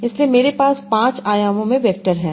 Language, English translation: Hindi, So I have vectors in five dimensions